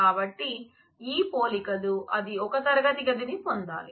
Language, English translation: Telugu, So, these are the similarly, it must get a classroom